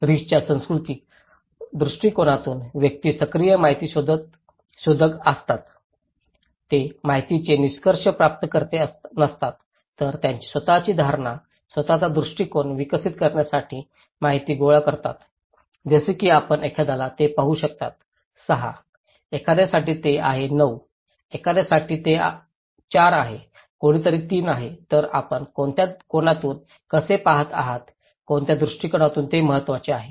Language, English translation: Marathi, For the cultural perspective of risk, individuals are active information seeker, they are not the passive recipient of information but they also collect informations to develop their own perception, own perspective okay, like you can see for someone it is 6, for someone it is 9, for someone it is 4, someone it is 3, so how you are looking at it from which angle, from which perspective, it matters